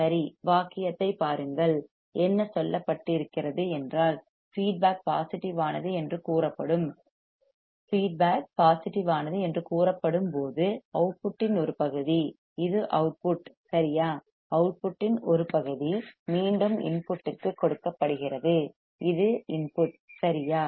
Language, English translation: Tamil, Right, see the sentence what it says that the feedback the feedback is said to be positive is said to be positive when the part of the output, this is output right, when the part of the output is fed back to the input, this is the input right